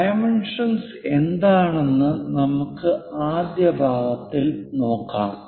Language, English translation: Malayalam, Let us look at the first part what are dimensions